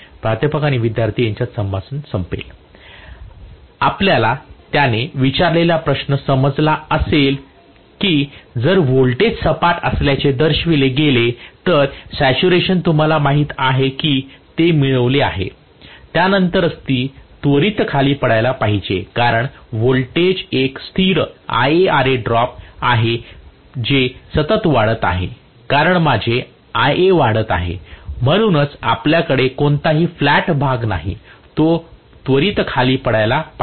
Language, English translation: Marathi, You got his question what he is asking is if the voltage is shown to be flat the saturation has been you know attained then after that itself it should start dropping right away because the voltage is a constant IaRa drop is continuously increasing as my Ia is increasing, so you should not have any flat portion at all, it should start dropping right away